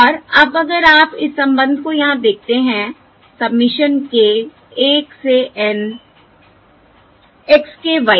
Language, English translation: Hindi, And now, if you observe this term over here, that a submission k equal to 1 to N, x, k, y k